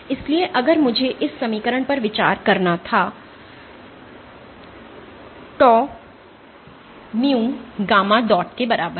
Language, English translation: Hindi, So, if I were to consider this equation tau is equal to mu gamma dot